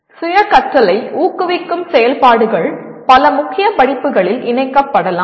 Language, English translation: Tamil, Activities that promote self learning can be incorporated in several core courses